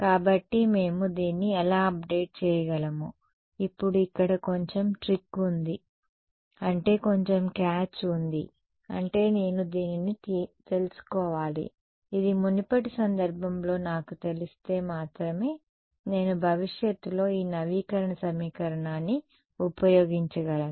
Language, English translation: Telugu, So, how can we update this there is a little bit of trick here now right I mean little bit of catch I need to know this guy to begin with only if I know it at a previous time instance can I use this update equation in the future